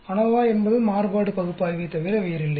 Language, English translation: Tamil, ANOVA is nothing but analysis of variance